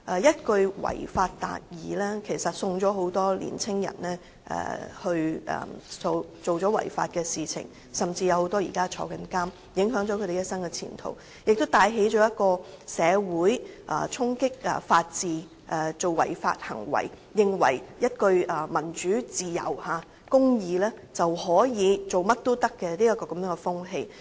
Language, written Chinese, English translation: Cantonese, 一句"違法達義"，令很多年青人作出違法行為，甚至被監禁，影響了一生前途，亦帶起了社會衝擊法治，以為為了民主自由和公義，便甚麼違法事情也可以做的風氣。, Some were even imprisoned which would affect their whole life and future . Such actions also led the society to undermine the rule of law . They assumed that they could do anything illegal for the sake of democratic freedom and justice